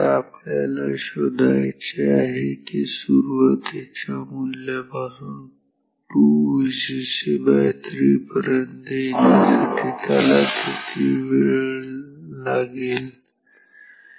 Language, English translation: Marathi, Now, now, we have to find how long will it take we are to go from initial value to this, two third V cc ok